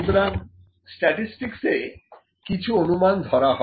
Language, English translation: Bengali, So, a statistics there are certain assumptions